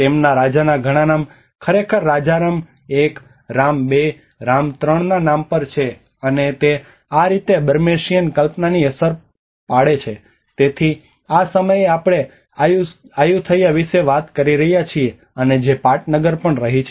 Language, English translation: Gujarati, So many of their king names is actually named of king Rama 1 Rama 2 Rama 3, and that is how the Burmesian envision also has an impact on, so this is the time we are talking about Ayutthaya and which has been the capital as well